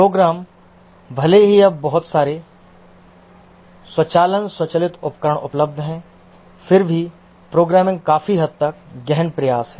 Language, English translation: Hindi, Programs, even though now a lot of automation, automated tools are available still programming is largely effort intensive